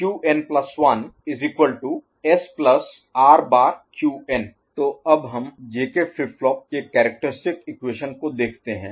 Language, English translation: Hindi, So, next we look at characteristic equation of J K flip flop right